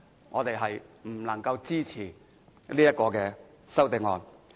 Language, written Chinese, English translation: Cantonese, 我們不能支持這項修正案。, We cannot support this amendment